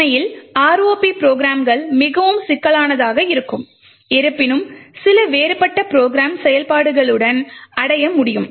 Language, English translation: Tamil, In reality ROP programs can be quite complex you can achieve quite a few different program functionalities